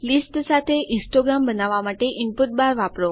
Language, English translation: Gujarati, Now to create the histogram , go to the input bar here